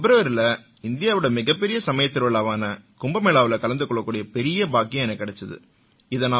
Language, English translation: Tamil, I had the opportunity to attend Kumbh Mela, the largest religious festival in India, in February